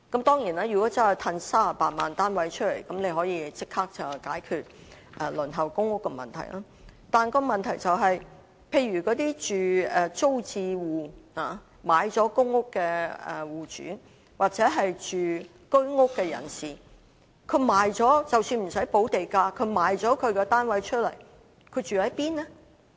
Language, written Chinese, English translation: Cantonese, 當然，如果真的可以釋放38萬個單位出來，便可以立即解決輪候公屋的問題，但問題是那些在租置計劃下購買了公屋的戶主或居屋住戶，即使不用補地價，但賣掉房屋後可以住在哪裏？, Of course if 380 000 flats can really be made available that can immediately solve the problem of the PRH waiting list . But the question is for those households who bought PRH units under TPS or HOS flats even though the premium would be waived where can they live after selling their flats?